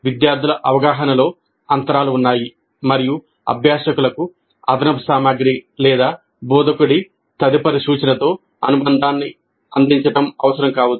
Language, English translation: Telugu, There are gaps in the students' understanding and it may be necessary to supplement the learning with additional material or further instruction by the instructor